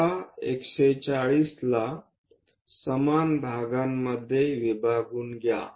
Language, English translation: Marathi, Now, divide this into equal parts 140